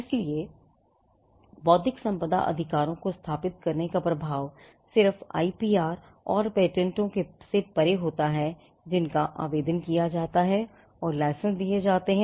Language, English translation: Hindi, So, setting up intellectual property rights has an effect beyond just the IPR and the patents that are granted, filed and licensed